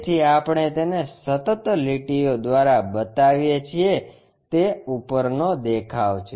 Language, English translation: Gujarati, So, we show it by continuous lines it is top view